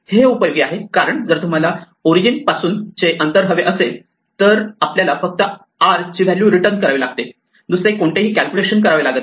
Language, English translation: Marathi, This is useful because if you want the o distance the origin distance we just have to return the r value we do not do any computation